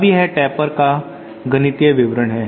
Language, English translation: Hindi, Now this is the mathematical description of taper